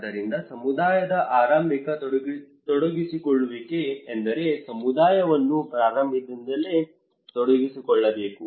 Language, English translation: Kannada, So early engagement of the community it means that community should be involved from the very beginning of the participations